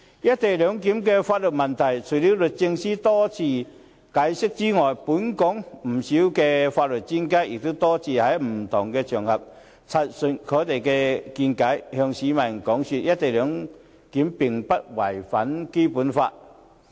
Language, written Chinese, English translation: Cantonese, "一地兩檢"的法律問題，除了律政司司長多次解釋之外，本港不少法律專家也多次在不同場合陳述他們的見解，向市民解說"一地兩檢"並不違反《基本法》。, Regarding the legal issues concerning the co - location arrangement on top of the numerous explanations given by the Secretary for Justice a number of legal experts in Hong Kong have given their views on various occasions in order to explain to the public that the co - location arrangement will not contravene the Basic Law